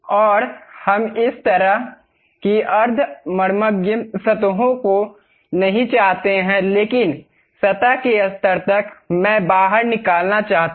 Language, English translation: Hindi, And we do not want this kind of semi penetrating kind of surfaces; but up to the surface level I would like to have extrude